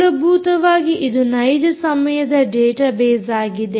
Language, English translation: Kannada, basically, this is a real time database